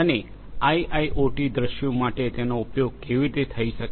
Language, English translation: Gujarati, And how it could be used for IIoT scenarios